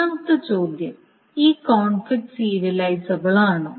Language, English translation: Malayalam, That means it is not conflict serializable